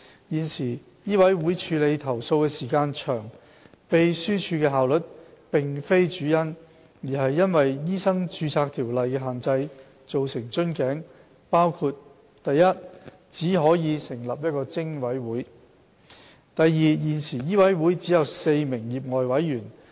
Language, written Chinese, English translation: Cantonese, 現時醫委會處理投訴的時間長，秘書處的效率並非主因，而是因為《醫生註冊條例》的限制，造成瓶頸，包括： i 只可成立一個偵委會；現時醫委會只有4名業外委員。, The long time taken by MCHK to handle complaints owes less to the efficiency of the MCHK Secretariat but mainly to the bottlenecks under the Medical Registration Ordinance MRO including i Only one PIC can be formed; ii There are four lay Council members in MCHK